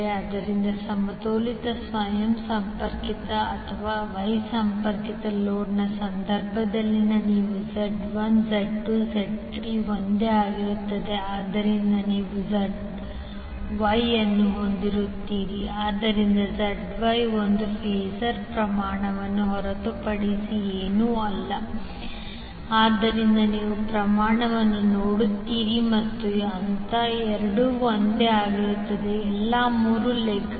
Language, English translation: Kannada, So in case of balanced star connected or wye connected load you will have Z1, Z2, Z3 all same so you will have ZY, so ZY is nothing but a phasor quantity so you will see the magnitude as well as phase both are same in all the three legs